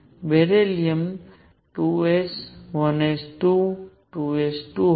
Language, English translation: Gujarati, Beryllium was 2 s, 1 s 2, 2 s 2